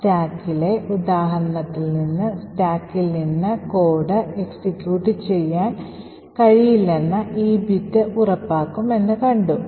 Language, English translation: Malayalam, So, therefore the example in the stack this particular bit would ensure that you cannot execute code from the stack